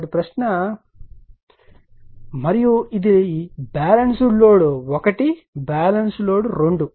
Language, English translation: Telugu, So, question is and this is Balance Load 1, Balance Load 2